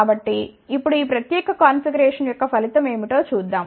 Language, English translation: Telugu, So, now, let us see what is the result of this particular configuration